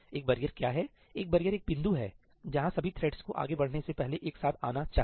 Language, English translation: Hindi, What is a barrier a barrier is a point where all the threads must come together before any of them proceeds further